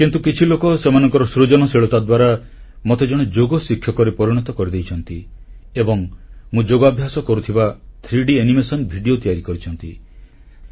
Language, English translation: Odia, But yes, I surely am a Yoga practitioner and yet some people, through their creativity, have made me a Yoga teacher as well and 3D animated videos of my yoga practice sessions have been prepared